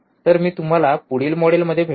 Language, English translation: Marathi, So, I will see you in next module